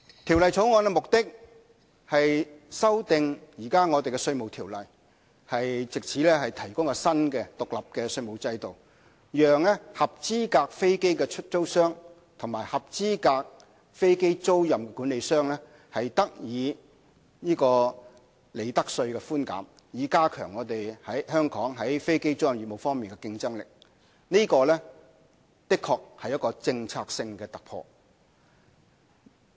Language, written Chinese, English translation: Cantonese, 《條例草案》的目的是修訂現時的《稅務條例》，藉以提供新的獨立稅務制度，讓合資格飛機出租商及合資格飛機租賃管理商得到利得稅寬減，以加強香港在飛機租賃業務方面的競爭力，這的確是政策性的突破。, The purpose of the Bill is to amend the existing Inland Revenue Ordinance so that we can put in place a new standalone tax regime for qualifying aircraft lessors and qualifying aircraft leasing managers to enjoy profits tax concessions with a view to strengthening the competitiveness of Hong Kong in aircraft leasing business . This is indeed a breakthrough in the policy